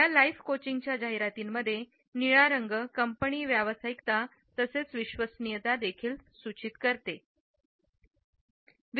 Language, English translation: Marathi, The blue in the advertisements of this life coaching company suggest professionalism as well as dependability